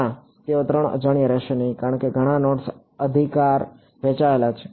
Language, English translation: Gujarati, No; they will not be 3 unknowns because many of the nodes are shared right